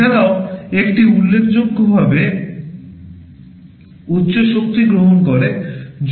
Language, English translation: Bengali, In addition it also consumes significantly higher power